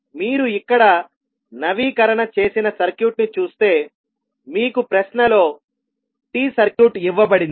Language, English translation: Telugu, So, if you see the updated circuit here you have the T circuit of the, T circuit given in the question